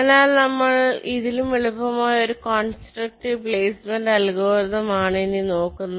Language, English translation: Malayalam, so here we look at another constructive placement algorithm which is very simple